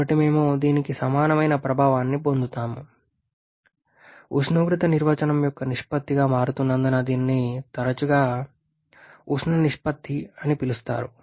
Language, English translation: Telugu, So, we get effectiveness equal to T3 T2 by T5 T2 as it is becoming ratio of temperature definition only this is often called the thermal ratio